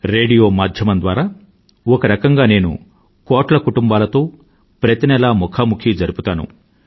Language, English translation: Telugu, Through radio I connect every month with millions of families